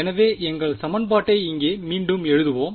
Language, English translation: Tamil, So, let us just re write our equation over here